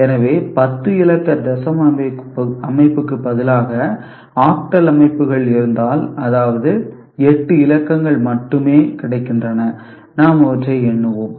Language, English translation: Tamil, So, if we considered instead of you know 10 digits decimal system, we had octal systems that means, only 8 digits are available, and we let us number them